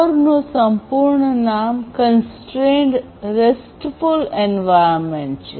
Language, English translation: Gujarati, The full form of core if you recall is Constrained RESTful Environment